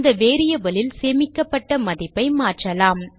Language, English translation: Tamil, Now let us change the value stored in the variable